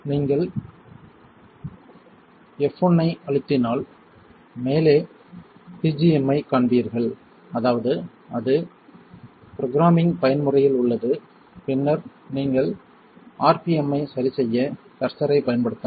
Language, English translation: Tamil, If you hit F1 you will see PGM on the top, that means it is in Programming Mode then you can use the curser to adjust the rpm right